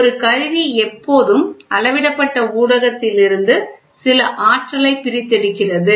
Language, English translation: Tamil, An instrument always extracts some energy from the measured media